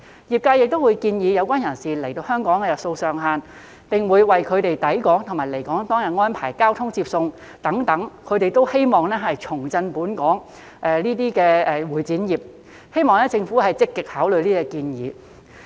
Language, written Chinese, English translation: Cantonese, 業界亦會建議有關人士留港的日數上限，並會為他們抵港和離港當日安排交通接送等，希望藉此重振本地的會展業，希望政府積極考慮這些建議。, The industries will also propose the maximum number of days that they can stay in Hong Kong and arrange transportation for them on the days of their arrival and departure in an effort to revitalize the local MICE industry . I hope that the Government will actively consider these proposals